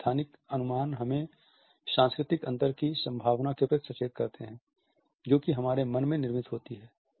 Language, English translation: Hindi, These spatial connotations alert us to the possibility of cultural differences which are in built in our psyche